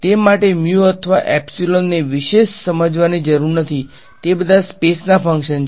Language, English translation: Gujarati, There is no need to be giving special treatment to mu or epsilon they all functions of space ok